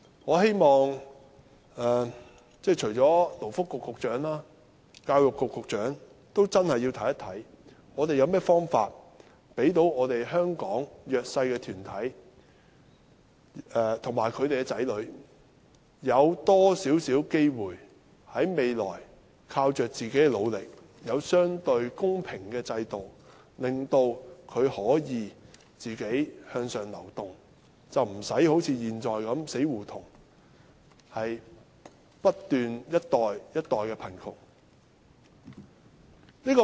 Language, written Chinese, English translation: Cantonese, 我希望除了勞工及福利局局長，教育局局長也真的會審視，政府有甚麼方法讓香港的弱勢社群和其子女在未來可以有更多機會，靠自己的努力，在相對公平的制度下，可自力向上流動，不會好像現在處於死胡同般，不斷一代一代地貧窮。, I hope that apart from the Secretary for Labour and Welfare the Secretary for Education will also really examine how the Government can give more opportunities to the disadvantaged and their children in Hong Kong so that they can move upward by themselves with their own efforts under a relatively fair system in the future rather than being stuck in an impasse suffering from poverty in one generation after another just like the present situation